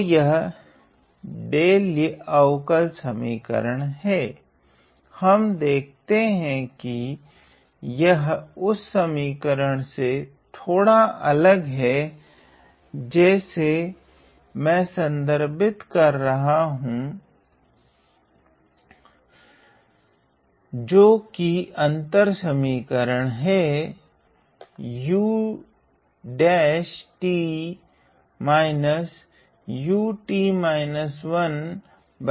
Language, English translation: Hindi, So, this is the delay differential equation, we see that this is slightly different than equation that I am just referring, which is the difference equation